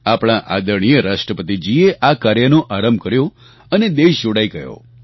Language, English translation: Gujarati, Our Honourable President inaugurated this programme and the country got connected